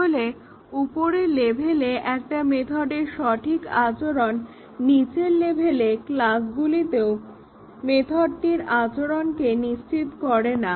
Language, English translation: Bengali, So, the correct behavior of a method at upper level does not guarantee that the method will behave at a lower level class